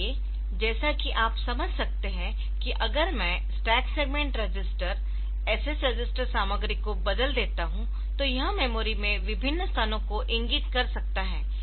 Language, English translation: Hindi, So, as you can so as you can understand that if I change the stack segment register the SS register content then it can point different locations in the memory